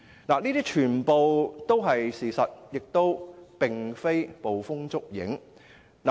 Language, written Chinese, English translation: Cantonese, 這些全部都是事實，並非捕風捉影。, All this is based on facts rather than mere fabrication